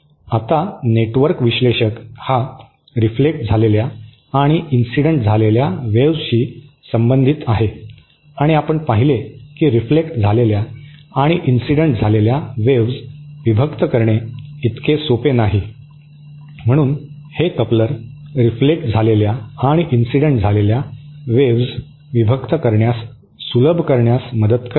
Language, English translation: Marathi, Now, since the network analyser actually deals with the reflected and incident wave and we saw that the reflected and incident wave are not so easy to separate, then the couplers come handy in separating the incident and reflected waves